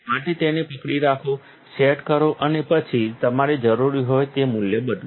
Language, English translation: Gujarati, So, hold then, set and then change the value that you need